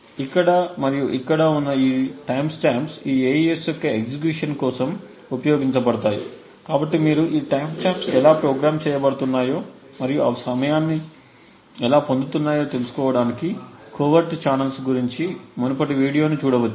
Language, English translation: Telugu, These times stamps here as well as here are used to actually time the execution of this AES, so you could refer to the previous video about the covert channels to look at how these timestamps are programmed and how they obtain the time